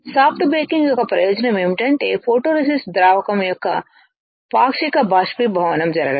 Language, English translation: Telugu, The advantage of soft baking is that there is a partial evaporation of photoresist solvent